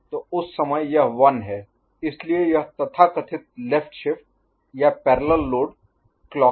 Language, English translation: Hindi, So, at that time, this is 1 so this so called left shift or parallel load clock